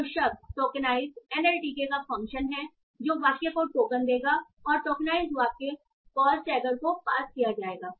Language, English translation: Hindi, So word tokenize is a function of an alt tK that will tokenize the sentence and the tokenized sentence will be passed to the post tagger